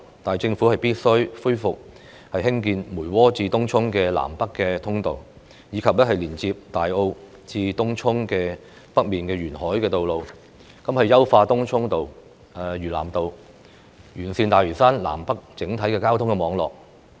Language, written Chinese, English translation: Cantonese, 但政府必須恢復興建梅窩至東涌的南北通道，以及連接大澳至東涌北面的沿海道路；優化東涌道、嶼南道，以完善大嶼山南北整體的交通網絡。, But the Government must reconsider the construction of a north - south link - up road between Mui Wo and Tung Chung and a coastal road connecting Tai O and Tung Chung North; improve Tung Chung Road and South Lantau Road so as to enhance the overall transportation network of North and South Lantau